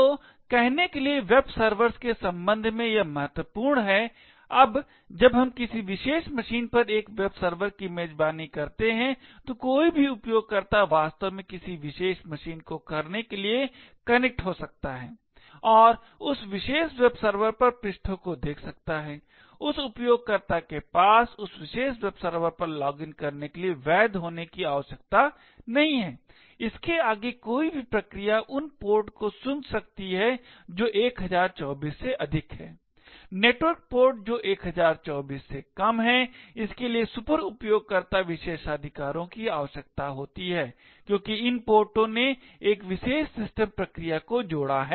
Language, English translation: Hindi, So this is important with respect to say Webservers, now when we host a web server on a particular machine, any user could actually connect to do particular machine and view the pages on that particular web server, that user does not require to have a valid login on that particular web server, further any process can listen to ports which are greater than 1024, for network ports which are less than 1024, it requires superuser privileges because these ports have linked a special system processes